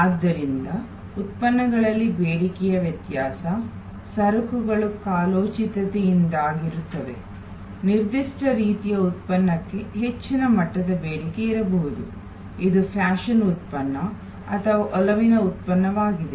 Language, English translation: Kannada, So, demand variation in products, goods are there due to seasonality, there may be a higher level of demand for a particular type of product, which is a fashion product or a fad product